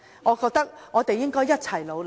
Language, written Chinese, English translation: Cantonese, 我覺得我們應該一起努力。, I believe we should work together towards this goal